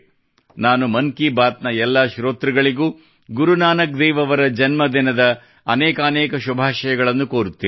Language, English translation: Kannada, I convey my very best wishes to all the listeners of Mann Ki Baat, on the Prakash Parv of Guru Nanak DevJi